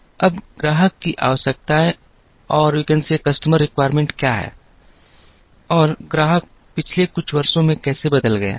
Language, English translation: Hindi, Now, what are the customer requirements and how the customer has changed over the years